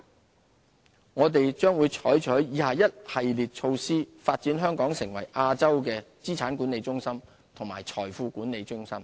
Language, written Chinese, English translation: Cantonese, 資產/財富管理我們將採取以下一系列措施，發展香港成為亞洲的資產管理中心和財富管理中心。, We will implement a number of measures as below to develop Hong Kong into Asias asset and wealth management centre